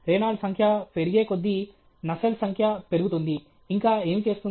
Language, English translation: Telugu, As Reynold’s number increases, Russelt number increases; what else it will do